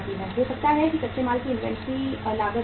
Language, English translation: Hindi, Maybe the inventory cost of the raw material it goes up